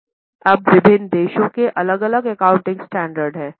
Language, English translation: Hindi, Now, different countries have different accounting standards